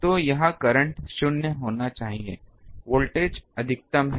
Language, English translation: Hindi, So, here the current should be 0 the voltage is maximum